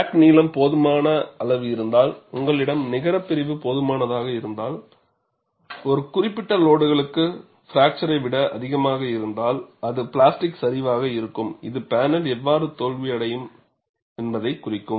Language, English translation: Tamil, If the crack length is sufficient be long enough, and you have the net section which is small enough, for a particular combination of loads, more than fracture, it would be plastic collapse, that would dictate how the panel will fail